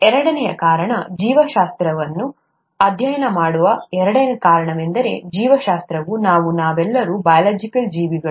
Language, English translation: Kannada, Second reason is, second reason for studying biology is that biology is us, we are all biological creatures